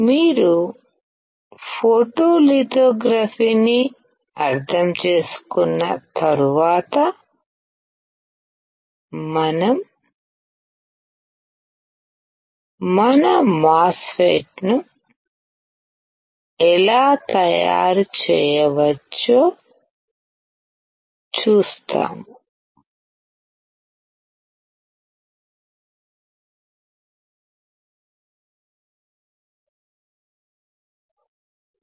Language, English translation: Telugu, Once you understand photolithography we will see how we can fabricate our MOSFET